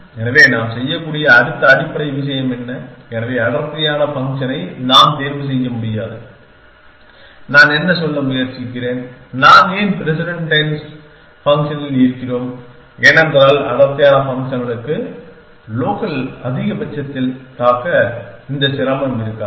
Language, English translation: Tamil, So, what is the next base thing we can do, so we cannot choose the dense function that what I am trying to say why all we in president dense function because dense functions will not have this difficulty of getting struck in local maximum